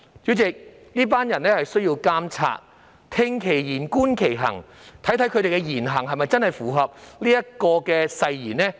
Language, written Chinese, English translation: Cantonese, 主席，這群人需要監察，聽其言、觀其行，看看他們的言行是否真的符合誓言內容。, President this group of people need monitoring . We should listen to their words and watch their deeds to see if what they say and do is really consistent with the content of the oath